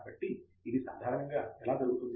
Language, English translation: Telugu, So, this is typically how it happens